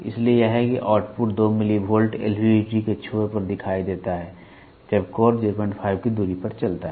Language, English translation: Hindi, So, that is what the output 2 millivolt appears across terminal of LVDT when the core moves at a distance of 0